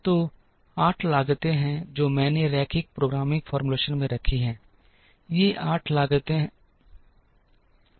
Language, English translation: Hindi, So, there are 8 costs that I have put in the linear programming formulation, these are the 8 costs